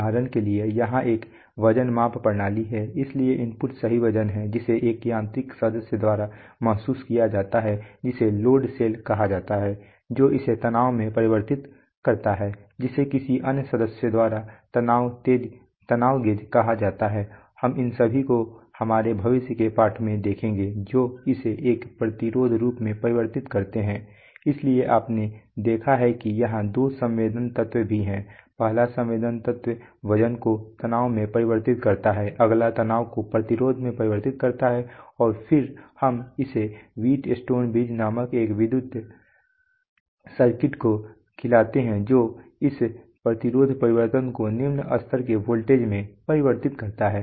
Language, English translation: Hindi, For example here is a weight measurement system so the input is the true weight which is sensed by a mechanical member called the load cell which converts it to strain that is sensed by a, by another member called a strain gauge, we will, we will see all these, all these sensors in our future lessons which converts it to a resistance form so you have you see that even there are two sensing elements the first sensing element converts weight to strain the next one converts strain to resistance and then we feed it to an electrical circuit called the Wheat stones bridge which converts this resistance change to a low level voltage mill volts